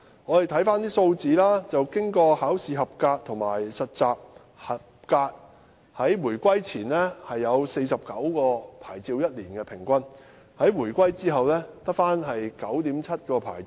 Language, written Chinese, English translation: Cantonese, 我們看看有關數字，通過考試和實習合格的人數，在回歸前，平均每年有49個牌照，但回歸後，每年只有 9.7 個牌照。, We may look at the relevant figures . Before the reunification 49 licences on average were issued each year to doctors passing the examination and internship training . Yet after the reunification only 9.7 licences are issued each year